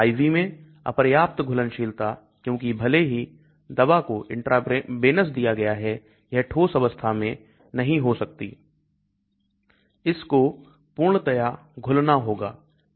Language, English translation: Hindi, Insufficient solubility in IV because even if the drug is given intravenous it cannot be in a solid form, it has to be completely dissolved